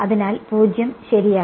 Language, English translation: Malayalam, So, 0 right